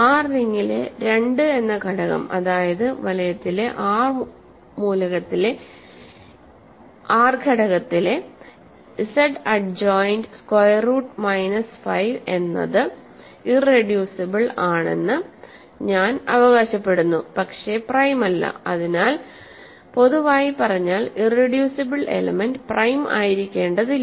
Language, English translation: Malayalam, So, I am claiming that the element 2 in the ring R which is Z adjoined square root minus 5 is irreducible, but not prime so, in general in other words irreducible elements need not be prime